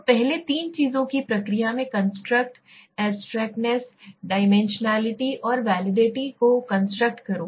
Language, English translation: Hindi, So first construct abstractness in the process of three things, construct abstractness, dimensionality and the validity